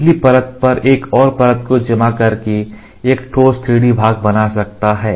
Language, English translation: Hindi, By curing one layer over a previous layer, he could fabricate a solid 3D part